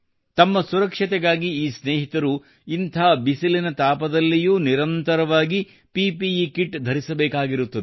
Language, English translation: Kannada, To protect themselves, these friends have to wear PPE Kit continuously even in sweltering heat